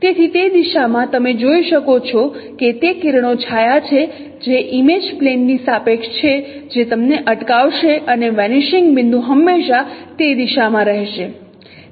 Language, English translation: Gujarati, So in that direction as you can see that it is the intersection of that ray with respect to image plane will give you that intersecting point will be always the vanishing point along that direction